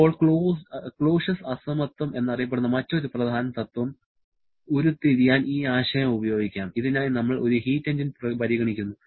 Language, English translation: Malayalam, Now, let us use this concept to derive another important principle known as the Clausius inequality for which we consider a heat engine